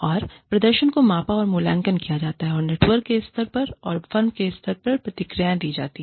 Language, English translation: Hindi, And, the performance is measured and evaluated, and given feedback to, at the level of the network, and not at the level of the firm